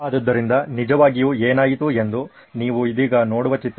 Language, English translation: Kannada, So what really happened is the picture that you see right now